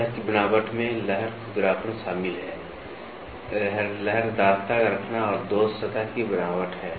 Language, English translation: Hindi, The surface texture encompasses wave roughness waviness lay and flaw is surface texture